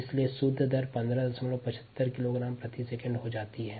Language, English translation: Hindi, so the net rate happens to be fifteen kilogram per second